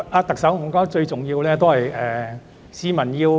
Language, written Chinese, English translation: Cantonese, 特首，最重要的是讓市民明白。, Chief Executive the most important of all is to facilitate public understanding